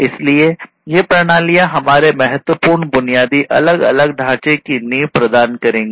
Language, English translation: Hindi, So, these systems will provide the foundation of our critical infrastructure; so, different infrastructure